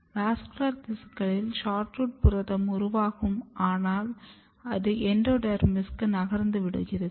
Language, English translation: Tamil, So, protein is made in the vascular tissues and it is moving to the endodermis